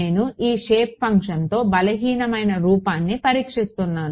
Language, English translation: Telugu, I am testing the weak form with this shape function